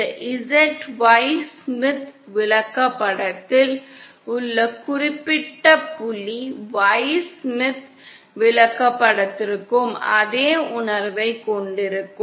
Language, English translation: Tamil, That particular point on this Z Y Smith chart will have the same sense for the Y Smith chart